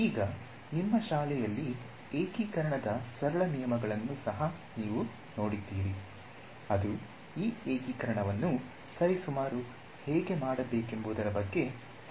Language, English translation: Kannada, Now, you would have also encountered simple rules of integration in your schooling which are about how to do this integration approximately right